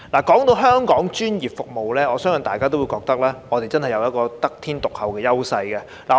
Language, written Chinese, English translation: Cantonese, 談到香港的專業服務，我相信大家也會覺得我們真的有得天獨厚的優勢。, Talking about Hong Kongs professional services I believe that we all know that we are richly endowed by nature